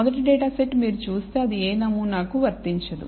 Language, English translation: Telugu, The first data set if you look at it exhibits no pattern